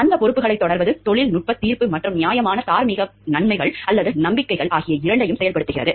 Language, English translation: Tamil, Pursuing those responsibilities involves exercising both technical judgment and reasoned moral convictions